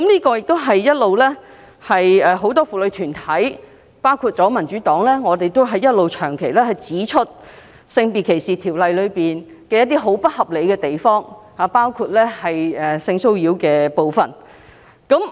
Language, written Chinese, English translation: Cantonese, 過去，很多婦女團體和民主黨一直指出《性別歧視條例》的不合理之處，包括有關性騷擾的條文。, Many womens groups as well as the Democratic Party had all along pointed out the unreasonable provisions in SDO including those concerning sexual harassment